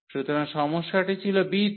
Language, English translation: Bengali, So, the problem was at b